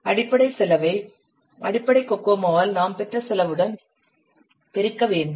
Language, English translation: Tamil, You have to multiply the basic cost that you have obtained by the basic okumo